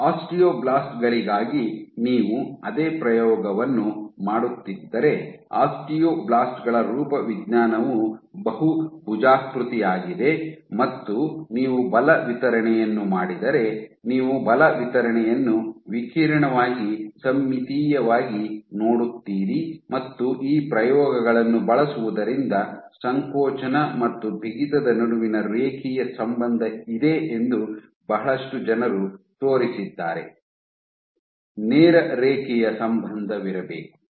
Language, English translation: Kannada, If you were doing the same experiment for your osteoblasts, so which is a more the morphology of an osteoblasts is more polygonal in nature and if you do the force distribution, you would see the force distribution as radially symmetric and using these experiments a lot of people have shown that again that there is a linear relationship between contractility and stiffness; you should have a straight linear relationship